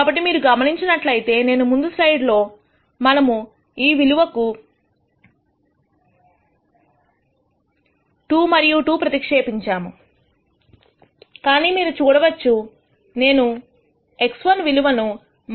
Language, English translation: Telugu, So, if you notice here in the last slide we had put 2 and 2 for these values, but in this you would see I am using the X 1 value minus 0